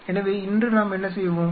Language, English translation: Tamil, So, today what we will do